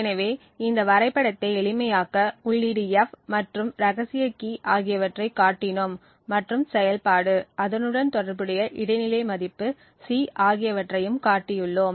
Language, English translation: Tamil, So, to simplify this entire figure we just showed the input F and the secret key and the F operation and the corresponding intermediate value C